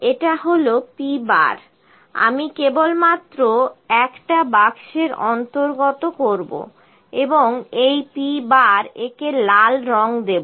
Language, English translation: Bengali, This is p bar, I will just include in a box and colour it red to this p bar